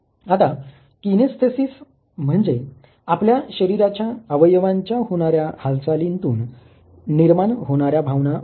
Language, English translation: Marathi, Now kinesthesis is the feeling of motion of the body part involved in some form of a movement